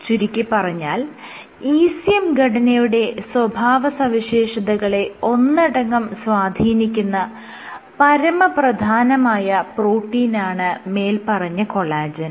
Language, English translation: Malayalam, So, collagens are the major proteins which contribute to the overall ECM properties